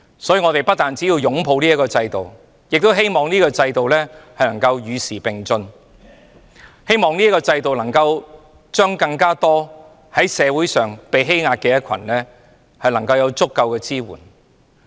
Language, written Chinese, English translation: Cantonese, 所以，我們不單要擁抱法援制度，亦希望法援制度能夠與時並進，希望法援制度能向更多在社會上被欺壓的人提供足夠支援。, Hence we have to embrace the legal aid system hoping that it can keep up with the times and provide adequate support for more people being oppressed in society